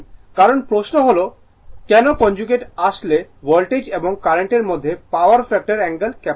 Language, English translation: Bengali, Now, question is why the conjugate conjugate is actually to capture the power factor angle between the voltage and current